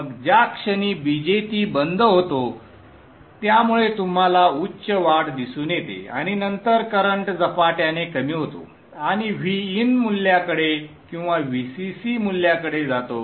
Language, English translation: Marathi, Then the moment the BJT switches off, so you see a high spike and then the current decays exponentially and goes towards VIN value or VCC value